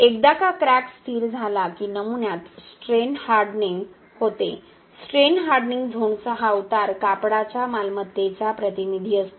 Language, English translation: Marathi, Once the crack has stabilized then the strain hardening happens in the specimen, this slope of the strain hardening zone is the representative of the property of the textile